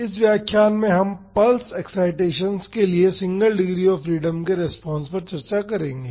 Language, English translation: Hindi, In this lecture we will discuss the Response of Single Degree of Freedom System to Pulse Excitations